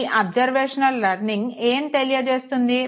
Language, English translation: Telugu, What does observational learning say